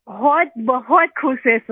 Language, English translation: Hindi, Very very happy sir